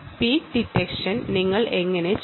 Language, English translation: Malayalam, ok, how do you perform the peak detection